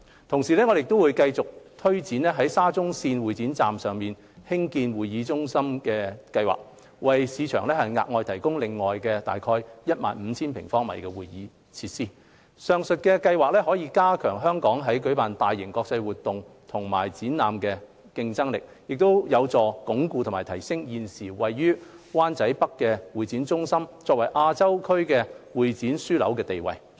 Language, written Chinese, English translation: Cantonese, 同時，我們會繼續推展在沙中線會展站上蓋興建會議中心的計劃，為市場額外提供約 15,000 平方米的會議設施。上述計劃可加強香港在舉辦大型國際會議及展覽的競爭力，並有助鞏固及提升現時位於灣仔北的會展中心作為亞洲會展業樞紐的地位。, At the same time we will continue with the planned development of a convention centre above the Exhibition Station of the Shatin to Central Link SCL to provide the market with additional convention space of about 15 000 sq m The above plans will strengthen our competitiveness in hosting large - scale international conventions and exhibitions and consolidate and enhance the status of the existing HKCEC in Wan Chai North as a CE hub of Asia